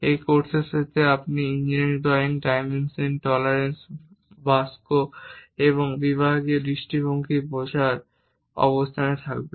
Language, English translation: Bengali, End of the course you will be in a position to understand from engineering drawings, the dimensions, tolerances, boxes and sectional views